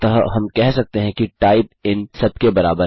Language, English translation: Hindi, So we can say type equals all of this